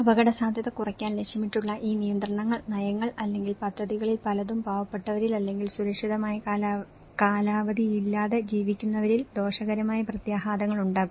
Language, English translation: Malayalam, And many of these regulations, policies or projects that aim to reduce risk to hazards can also have detrimental impacts on poor or those living without secured tenure